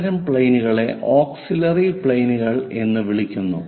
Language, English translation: Malayalam, The other planes are called auxiliary planes